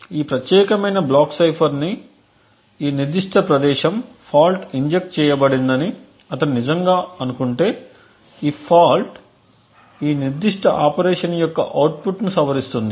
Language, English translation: Telugu, Now if he actually think that a fault is injected say at this particular location in this particular block cipher, this fault modifies the output of this particular operation